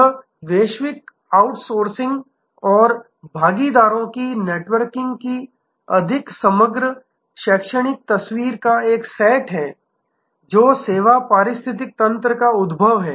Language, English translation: Hindi, This is a set of a more composite academic picture of global outsourcing and networking of partners, emergence of service ecosystem